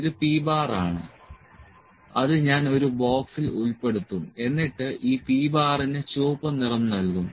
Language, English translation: Malayalam, This is p bar, I will just include in a box and colour it red to this p bar